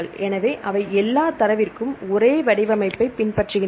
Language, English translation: Tamil, So, they follow the same format for all the data